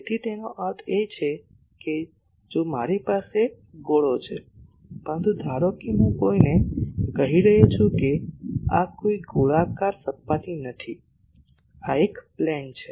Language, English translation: Gujarati, So, that that means, if I have a sphere, but suppose I am telling no this is not a spherical surface, this is a plane